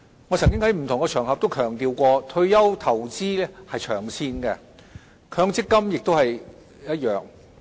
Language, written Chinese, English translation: Cantonese, 我曾經在不同場合強調，退休投資是長線的，強積金亦然。, As I have emphasized on various occasions investment for retirement is long term and MPF is no exception